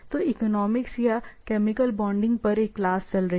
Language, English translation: Hindi, So, economics or a class on say chemical bonding, right